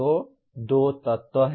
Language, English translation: Hindi, So there are 2 elements